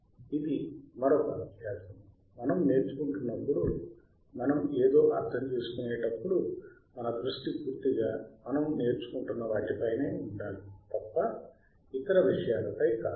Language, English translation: Telugu, Thisese isare another exercise that when we are when we are learning, when we are understanding something; now our focus should be completely on what we are learning and not to other things